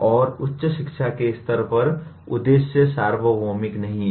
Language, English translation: Hindi, And the at higher education level the aims are not that universal